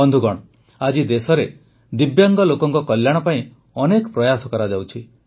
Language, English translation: Odia, today many efforts are being made for the welfare of Divyangjan in the country